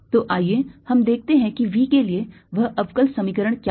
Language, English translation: Hindi, so let us see what is that differential equation